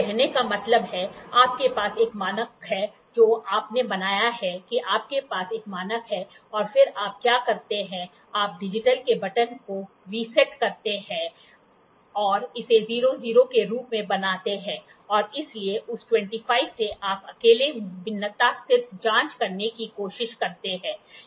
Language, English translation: Hindi, That means to say, you have a standard you have made that you have standard and then what you do is you reset the button of the digital and make it as 00 and hence for from that 25, you just try to check the variation alone